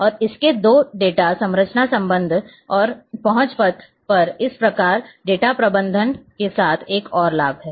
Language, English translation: Hindi, And its two data structures relationship and access paths thus another advantage with database management